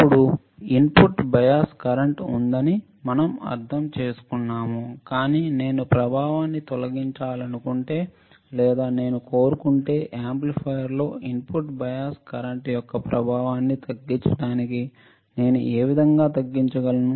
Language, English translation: Telugu, Now, we understand input bias current is there, but if I want to remove the effect or if I want to minimize the effect of the input bias current in an amplifier, this is how I can minimize the effect